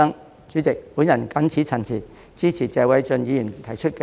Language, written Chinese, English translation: Cantonese, 代理主席，我謹此陳辭，支持謝偉俊議員提出的議案。, With these remarks Deputy President I support the motion moved by Mr Paul TSE